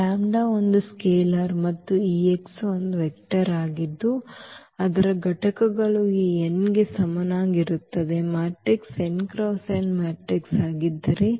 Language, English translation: Kannada, The lambda is a scalar and this x is a vector whose components will be exactly equal to this n, if the matrix is n cross n matrix